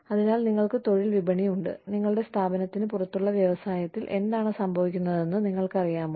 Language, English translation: Malayalam, So, we have labor market is, you know, what is happening in the industry, outside of our organization